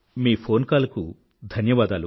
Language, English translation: Telugu, Thank you for your phone call